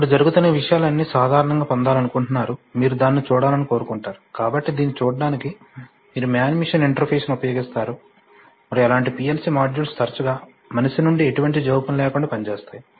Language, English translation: Telugu, Then all these things that are happening, one generally wants to get, wants you get a view of it, so to get a view of it, you use a man machine interface and as such PLC modules often work without any, without any intervention from human